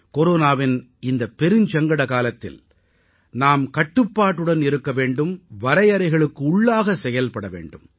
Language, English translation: Tamil, during this crisisladen period of Corona, we have to exercise patience, observe restraint